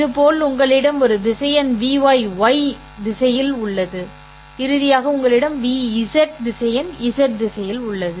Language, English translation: Tamil, Similarly you have a vector v y along y hat and finally you have a vector vz along z hat